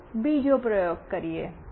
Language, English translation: Gujarati, Let us go to another experiment